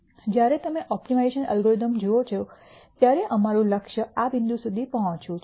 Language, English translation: Gujarati, When you look at optimization algorithms, the aim is for us to reach this point